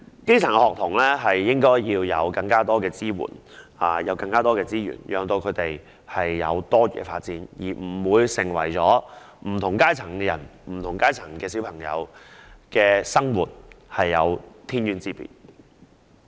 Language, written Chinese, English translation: Cantonese, 基層學童應獲得更多支援和資源作多元發展，令不同階層的人士和兒童的生活不會有天淵之別。, Grass - roots students should be given more support and resources for diversified development so that the lives of people and children in different strata will not be worlds apart